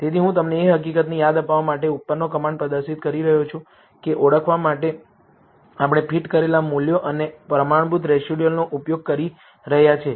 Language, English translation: Gujarati, So, I am displaying the command above to remind, you of the fact that we are using fitted values and standardized residuals to identify